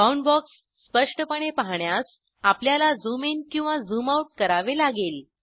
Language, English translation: Marathi, To view the Boundbox clearly, we may have to zoom in or zoom out